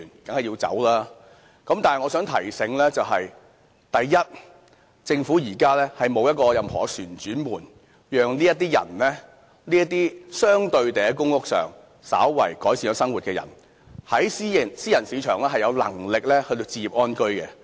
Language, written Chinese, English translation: Cantonese, 但是我想提醒大家，政府現在沒有任何一個旋轉門可讓這些人，這些生活稍為改善了的人，在私人市場置業安居的，因為他們還沒有能力。, However I have to remind Members that there is at present no revolving door from the Government for these people whose living has been slightly improved to be able to afford a home in private market